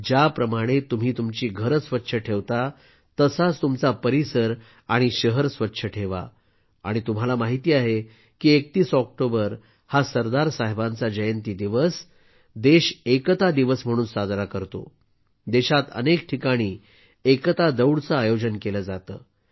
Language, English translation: Marathi, And you know, on the 31st of October, the birth anniversary of Sardar Saheb, the country celebrates it as Unity Day; Run for Unity programs are organized at many places in the country